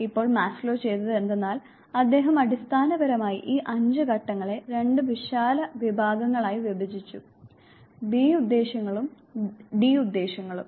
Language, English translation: Malayalam, Now what Maslow did was, he basically divided these 5 stages into 2 broad categories, the B Motives and the D Motives